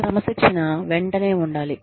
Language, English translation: Telugu, Discipline should be immediate